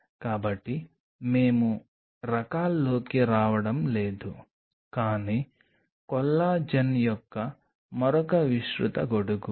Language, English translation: Telugu, So, we are not getting into the types, but another broad umbrella of collagen